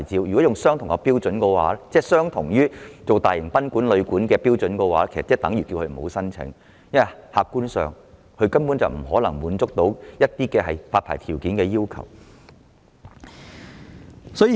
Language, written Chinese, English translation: Cantonese, 顯而易見，要他們依循大型賓館或旅館的標準申請牌照，其實是叫他們無需申請，因為客觀上他們根本不可能滿足發牌條件或要求。, Obviously requiring them to follow the same licence application standards as large boarding houses or guesthouses is actually tantamount to telling them not to apply for any licences because objectively they cannot possibly satisfy the licensing conditions or requirements at all